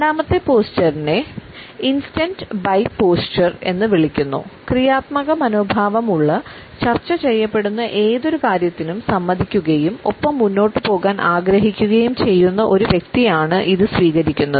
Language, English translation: Malayalam, The second posture is known as instant by posture; it is taken up by a person who has a positive attitude, has agreed to whatever is being discussed and wants to move on with it